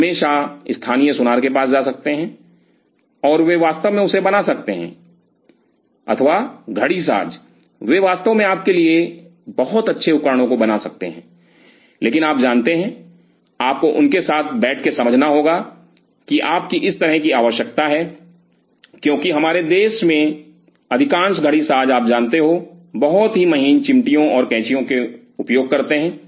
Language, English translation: Hindi, You can always go to the local goldsmith, and they can really curve out or the watchmakers they can really curve out very nice instruments for you, but you know you have to you know valley up with them in order to tell them this is your requirement because most of the watchmaker in our country they use very fine you know fine tercets scissors